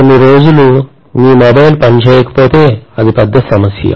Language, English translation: Telugu, Even for a few days if your mobile does not work, it is a big problem